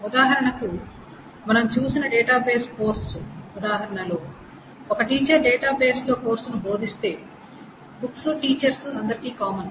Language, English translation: Telugu, For example in the database course example that we saw, if a teacher teaches the course on database, the books must be common to all the teachers